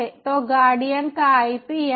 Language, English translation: Hindi, so ip of the guardian is this